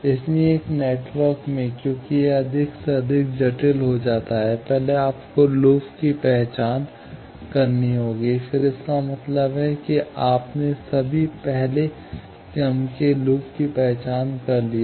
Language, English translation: Hindi, So, in a network, as it gets more and more complicated, first, you will have to identify the loops; then, that means, you have identified all the first order loops